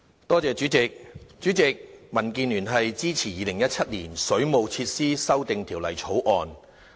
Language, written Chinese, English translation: Cantonese, 代理主席，民建聯支持《2017年水務設施條例草案》。, Deputy President the Democratic Alliance for the Betterment and Progress of Hong Kong supports the Waterworks Amendment Bill 2017